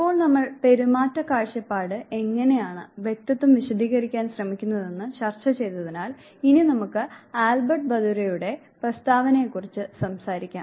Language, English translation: Malayalam, Now, that we have discussed behaviorist view point, how they try to explain personality let us now talk about the preposition of Albert Bandura